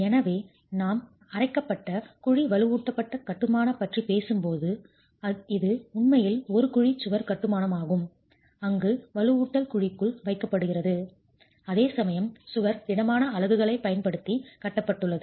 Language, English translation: Tamil, So, when we talk of grouted cavity reinforced masonry, it is really the cavity wall construction where reinforcement is placed in the cavity, whereas the wall itself is constructed using solid units